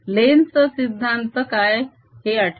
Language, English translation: Marathi, remember what is lenz's law